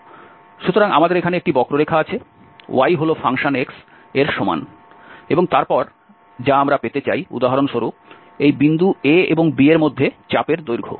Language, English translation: Bengali, So, we have a curve here y is equal to f x, and then which we want to get, for instance, the arc length between this point a and b